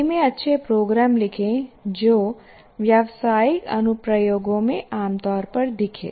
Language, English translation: Hindi, Like example can be write good programs in C, encountered commonly in business applications